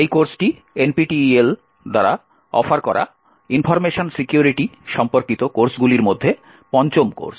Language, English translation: Bengali, This course is a fifth, in the series of courses on information security that is offered by NPTEL